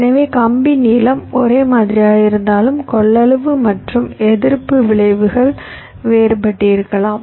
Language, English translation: Tamil, so so, although the wire lengths are the same, the capacity and resistive effects may be different